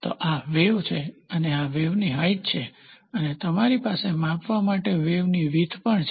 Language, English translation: Gujarati, So, this is the wave and this is the wave height and you also have wave width to be measured